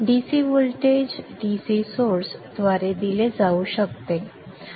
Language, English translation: Marathi, The DC voltage can be given by a DC source such as this